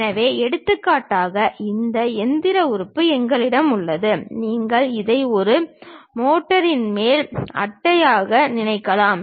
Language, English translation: Tamil, So, for example, we have this machine element; you can think of this one as a top cover of a motor